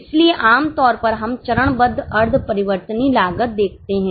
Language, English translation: Hindi, So, typically we are looking at step wise semi variable costs